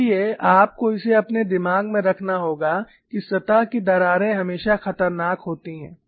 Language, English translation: Hindi, So, because of that you have to keep in mind, the surface cracks are always dangerous